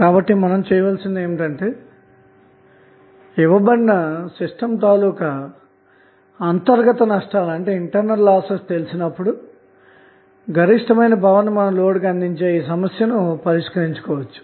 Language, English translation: Telugu, So, what we have, we have to do we have to address this problem of delivering the maximum power to the load when internal losses are known for the given system